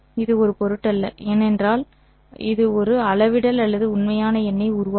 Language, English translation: Tamil, It would not matter because it would give rise to a scalar or a real number